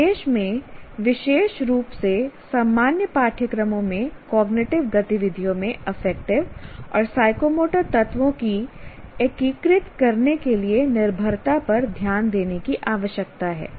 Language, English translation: Hindi, So, instruction needs to pay attention to these dependencies, especially to integrating affective and psychomotry elements into cognitive activities in general courses